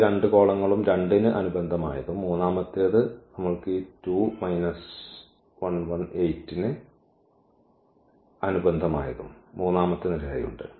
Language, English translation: Malayalam, First two columns and the corresponding to 8; we have this 2 minus 1 as a third column